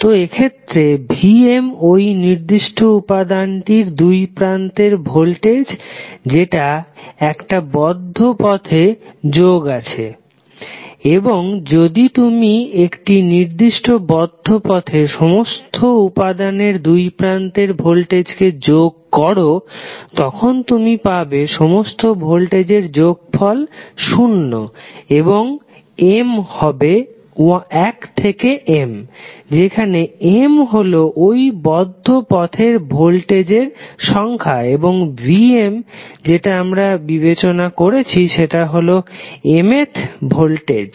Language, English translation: Bengali, So, in this case, this V¬m¬ is the voltage across a particular element connected in a loop and if you sum up all the voltages in a particular loop across all the elements then you will get, the summation of voltage would always be 0 and m where is from 1 to M, where M in number of voltages in the loop and V¬m¬ ¬that we have considered as the mth voltage